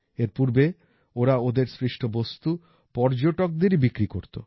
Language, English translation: Bengali, Earlier they used to sell their products only to the tourists coming there